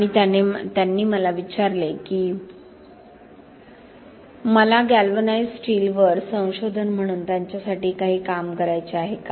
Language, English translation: Marathi, And he asked me to whether I wanted to do a piece of work for him as a research on galvanized steel